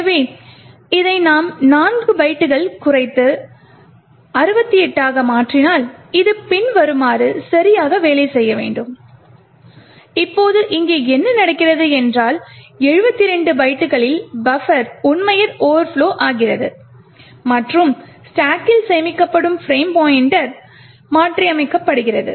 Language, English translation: Tamil, So for example if I use reduced this by 4 bytes and make it 68, this should work properly as follows, now what is happening here is that at 72 bytes the buffer is actually overflowing and modifying the frame pointer which is stored onto the stack, this is the smallest length of the string which would modify the frame pointer